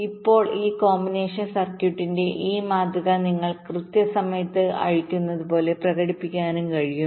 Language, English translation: Malayalam, this model of a combination circuit can also be expressed as if you are un rolling it in time